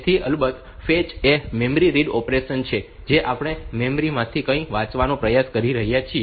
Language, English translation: Gujarati, So, of course, fetch is a memory read operation we are trying to read something from the memory